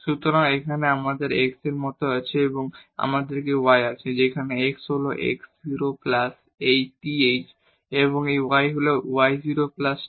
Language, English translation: Bengali, So, here we have like x and here we have y where the x is x 0 plus this th and this y is y 0 plus tk